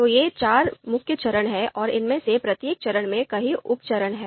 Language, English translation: Hindi, So these are main steps four main steps and each of these steps I can have several sub steps